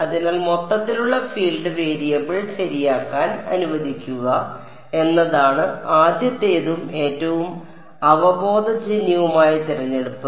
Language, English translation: Malayalam, So, the first and the most intuitive choice is to allow the total field to be the variable ok